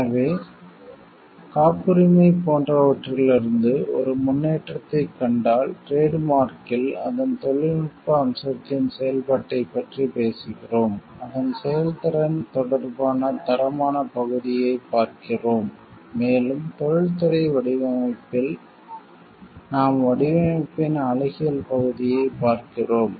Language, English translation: Tamil, So, if you see a progression from like in patent, we are talking of the functioning of the technical aspect of it, in trademark we are looking of the quality part of it with related to it is performance, and in industrial design we are looking for the like, aesthetic part of the design